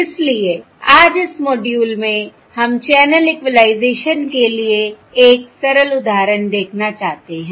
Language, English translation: Hindi, So today in this module we want to look at a simple example for channel equalisation